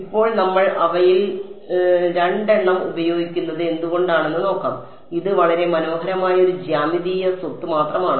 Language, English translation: Malayalam, Now we will get into why we are using two of them it is a very beautiful geometric property only